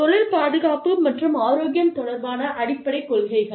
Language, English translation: Tamil, Basic principles, concerning occupational safety and health